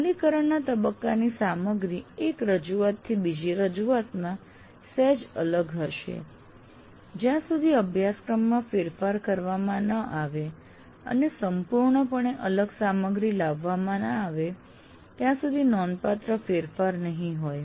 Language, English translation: Gujarati, So what happens the implement phase, a content of the implement phase will differ from one offering to the other slightly, not significantly, unless the curriculum is overhauled and completely different material is brought in